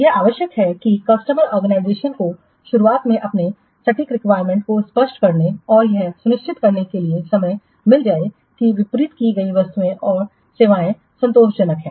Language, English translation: Hindi, It is essential that the customer organizations they should find time to clarify their exact requirements at the beginning and to ensure that the goods and services delivered are satisfactory